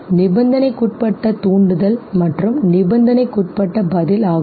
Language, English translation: Tamil, Conditioned stimulus, conditioned response, what is a conditional stimulus